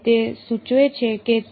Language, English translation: Gujarati, So, that implies that